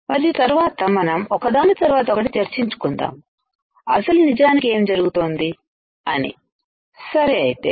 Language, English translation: Telugu, And then we will discuss one by one what is actually happening all right